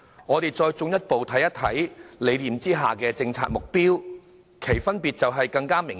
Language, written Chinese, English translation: Cantonese, 我們再進一步看看理念下的政策目標，兩者分別便更加明顯。, The differences between the two become even more obvious when we take a closer look at the policy objectives